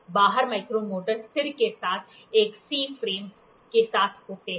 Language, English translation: Hindi, The outside micrometer consists of a C frame with stationary